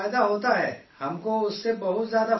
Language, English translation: Urdu, We have a great benefit through that